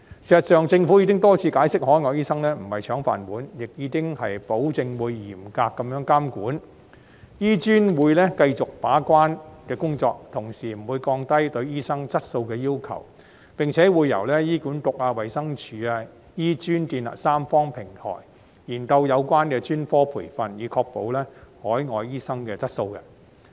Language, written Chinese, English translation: Cantonese, 事實上，政府已多次解釋，海外醫生並非"搶飯碗"，亦已保證會嚴格監管，醫專會繼續負責把關的工作，同時不會降低對醫生質素的要求，並且會由醫管局、衞生署及醫專建立三方平台，研究有關的專科培訓，以確保海外醫生的質素。, As a matter of fact the Government has repeatedly explained that the admission of overseas doctors is not meant to snatching rice bowls of local doctors and it has guaranteed that it will keep a close watch on the situation . HKAM will continue to be the gatekeeper . While the requirement on the quality of doctors will not be lowered a tripartite platform will be set up amongst HA the Department of Health and HKAM to look into relevant specialist training so as to ensure the quality of overseas doctors